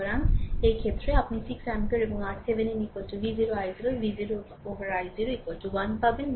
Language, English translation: Bengali, So, in this case, you will get i 0 is equal to 1 upon 6 ampere and R Thevenin is equal to V 0 i 0 V 0